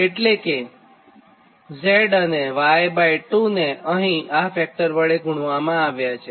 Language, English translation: Gujarati, so that means z is multiplied by this factor